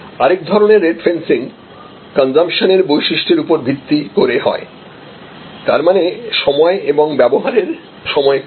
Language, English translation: Bengali, Another kind of rate fencing is based on consumption characteristics; that means, set time and duration of use